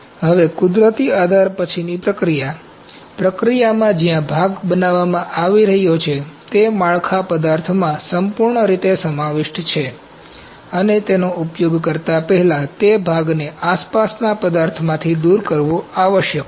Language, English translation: Gujarati, Now, natural support post processing, in processes where the part is being built this fully encapsulated in the build material the part must be removed from the surrounding material prior to its use